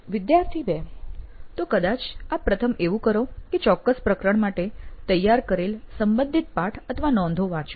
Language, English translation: Gujarati, Student 2: So the first thing you would probably do is either read the text or the relevant notes that he had prepared for that particular chapter